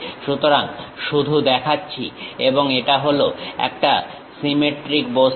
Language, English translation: Bengali, So, just showing and this is a symmetric object